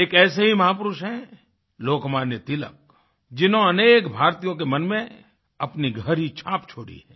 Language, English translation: Hindi, One such great man has been Lok Manya Tilak who has left a very deep impression on the hearts of a large number of Indians